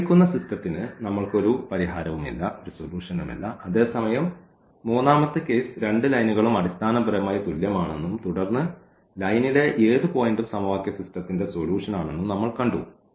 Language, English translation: Malayalam, And hence we do not have any solution to the given system whereas, the third case we have seen that that the both lines were basically the same and then any point on the line was the solution of the system of equation